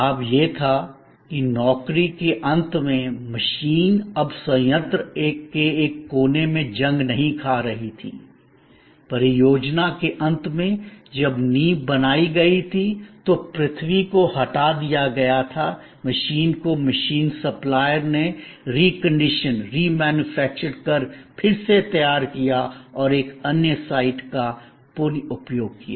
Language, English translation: Hindi, The advantage was that at the end of the job, the machine was no longer rusting away at one corner of the plant, at the end of the project, when the foundation was created, earth was removed, the machine was taken away by the machine supplier was reconditioned, was remanufactured and was reused that another site